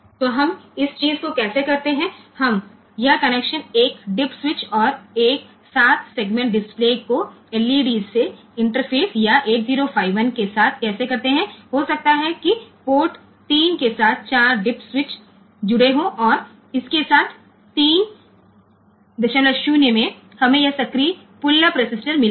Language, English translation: Hindi, this connections interfacing 1 dip switch and 1 7 segment display to the LEDs or to the 8051 so, may be with the port 3 we have connected 4 dip switches and with this and their so, 3